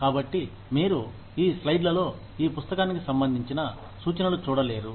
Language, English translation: Telugu, So, you will not see, references to this book, in these slides